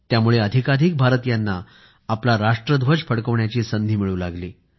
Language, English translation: Marathi, This provided a chance to more and more of our countrymen to unfurl our national flag